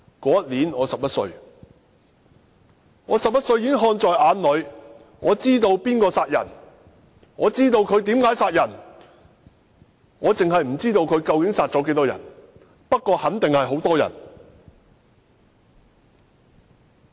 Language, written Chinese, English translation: Cantonese, 那年我11歲，我11歲已看在眼裏，知道誰殺人，知道他們為何殺人，只是不知道他們究竟殺了多少人，不過肯定為數不少。, I was 11 years old that year and I could already tell who killed the people and the reasons for that . I just did not know how many people they had killed but certainly not a few